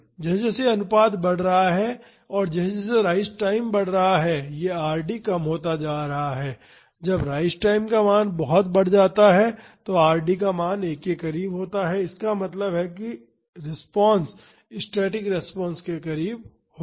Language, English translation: Hindi, As the this ratio is increasing and as the rise time is increasing, this Rd is reducing and when the rise time is larger, then the value of Rd is very close to 1; that means, the response will be very close to the static response